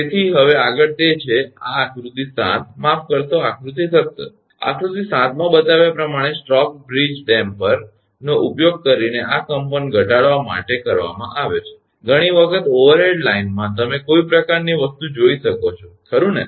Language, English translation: Gujarati, So, now next it is that this figure 7 sorry figure 17 a stock bridge damper as shown in figure 7 is used to minimize this vibration, many times in overhead line, you can see some kind of thing right